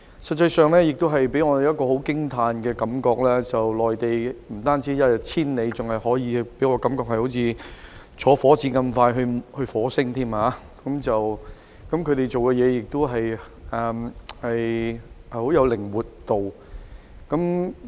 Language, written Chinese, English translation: Cantonese, 事實上，我們有一種很驚嘆的感覺，就是內地的發展不但一日千里——我更加感到它的發展像火箭那樣，快得已到達火星——內地辦事也有相當靈活度。, In fact we are awestruck not only by the rapid development in the Mainland―I even find its development speed as fast as the rocket which has reached the Mars―but also by the Mainlands high flexibility in handling matters